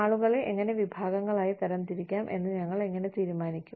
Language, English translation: Malayalam, How do we decide, you know, how to group people, into the same category